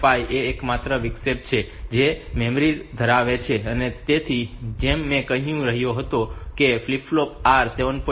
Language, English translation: Gujarati, 5 is the only interrupt that has memory, so as I was telling so that it has got a flip flop R 7